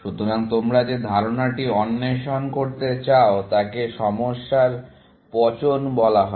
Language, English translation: Bengali, So, the idea that you want to explore is called problem decomposition